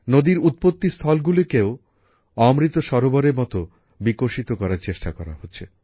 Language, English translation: Bengali, The point of origin of the river, the headwater is also being developed as an Amrit Sarovar